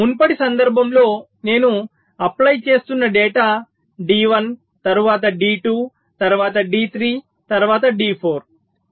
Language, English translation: Telugu, lets say, in the earlier case the data i was applying was d one, then d two, then d three, then d four